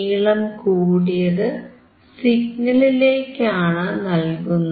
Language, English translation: Malayalam, A longer one is connected to the signal